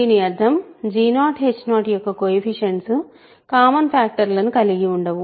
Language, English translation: Telugu, It means that the coefficients of g 0 h 0 have no common factor